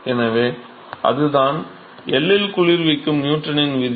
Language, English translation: Tamil, So, that is the Newton’s law of cooling at L